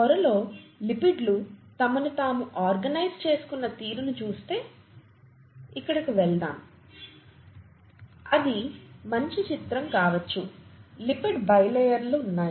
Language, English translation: Telugu, The, if you look at the way the lipids have organised themselves in the membrane there are, let’s go here it might be a better picture; there are lipid bilayers